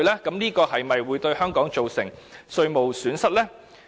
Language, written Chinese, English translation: Cantonese, 這會否令香港蒙受稅務損失？, Will Hong Kong suffer losses in taxes as a result?